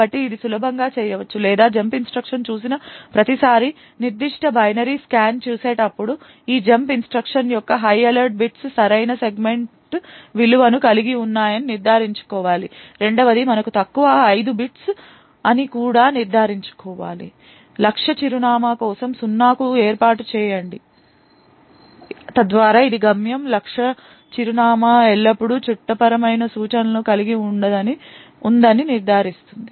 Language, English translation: Telugu, So this can be easily done or while scanning the particular binary every time we see a jump instruction we should need to ensure that the higher order bits of that jump instruction have the correct segment value secondly we need to also ensure that the lower 5 bits are set to 0 for the target address so this will ensure that the destination target address always contains a legal instruction